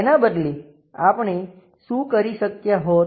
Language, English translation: Gujarati, Instead of that, what we could have done